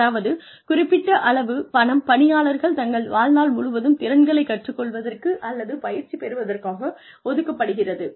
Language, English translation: Tamil, Which means, a certain sum of money, is allocated, to helping the employee learn, or gets training, throughout one's life